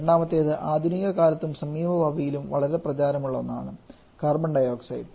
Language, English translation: Malayalam, Second is the very popular one for the modern times and also for near future that is carbon dioxide